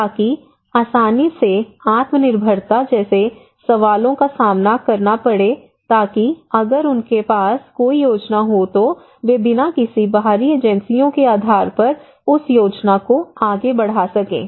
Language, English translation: Hindi, So that will easily lead to kind of self enhance, self reliance kind of questions so if they have any plan they can pursue that plan without depending on any external agencies